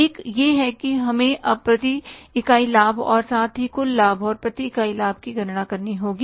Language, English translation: Hindi, One thing is that we will have to calculate now the per unit profit also, total profit and the per unit profits